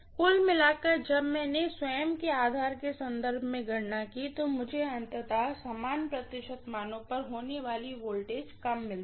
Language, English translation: Hindi, Overall when I calculated with reference to its own base, I will get ultimately the voltage drops to be, you know happening at the same percentage values, right